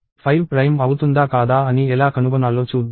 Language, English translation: Telugu, Let us see how to find out if 5 is prime or not